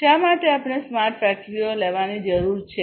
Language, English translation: Gujarati, Why at all we need to have smart factories